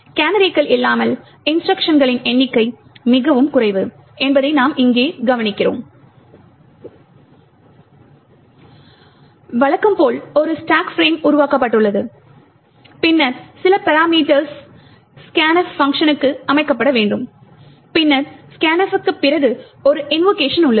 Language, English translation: Tamil, So, you notice over here that without canaries the number of instructions are very less, note that as usual there is a stack frame that is created and then some parameters which have been to be set for scan f and then there is an invocation to the scanf